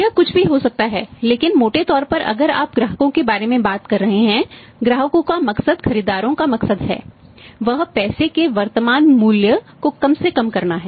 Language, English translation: Hindi, May be it can be anything but largely if you are talking about the customers, customers motive is buyers motive is that he wanted to minimise the say present value of the money